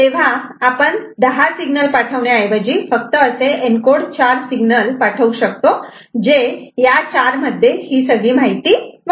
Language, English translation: Marathi, So, instead of you know 10 signal sent we can send only 4 such a signal in the encoded from which will carrying the information of this 4 right